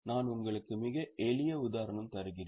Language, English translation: Tamil, I'll just give you a very simple example